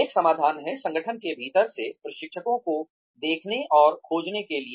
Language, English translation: Hindi, One solution is, to look inside and find trainers, from within the organization